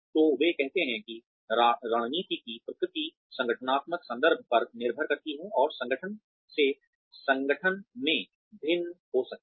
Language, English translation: Hindi, So, they say that, the nature of strategy, depends on the organizational context, and can vary from organization to organization